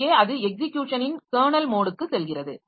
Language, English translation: Tamil, So, here it is going into the kernel mode of execution